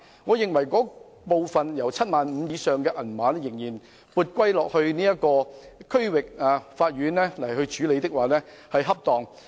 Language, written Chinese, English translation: Cantonese, 我認為，把涉及 75,000 元以上的案件撥歸區域法院處理的做法恰當。, In my opinion it is appropriate to refer cases involving more than 75,000 to the District Court